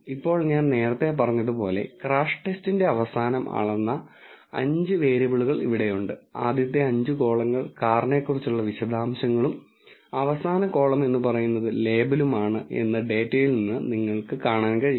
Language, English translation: Malayalam, Now, like I said earlier we have 5 variables here which have been measured at the end of a crash test and if you can see from the data, the first five columns are the details about the car and the last column is the label which says whether the card type is hatchback or SUV